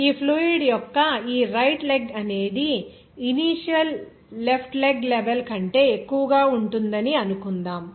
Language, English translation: Telugu, Suppose this right leg of this fluid will be above this level of initial left leg level